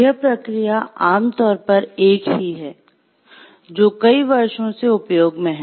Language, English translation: Hindi, The process generally is one which has been in common used for several years